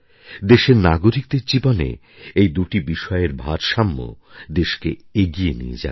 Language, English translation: Bengali, A balance between these two in the lives of our citizens will take our nation forward